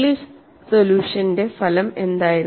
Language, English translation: Malayalam, What was the outcome of Inglis solution